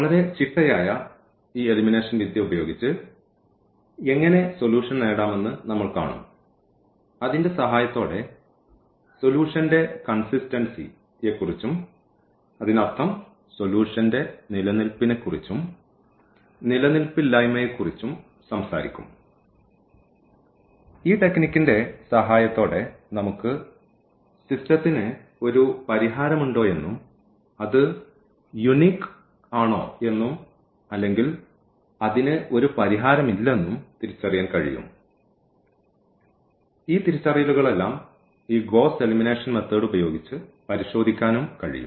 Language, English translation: Malayalam, So, we will be talking about this Gauss elimination method and there we will see that how to get the solution using this very systematic elimination technique and with the help of the same we will also talk about the consistency of the solution; that means, about the existence and non existence of the solution with the help of this technique we can identify whether the system has a solution and it is unique or it does not have a solution, all these identification we can also check with this Gauss elimination method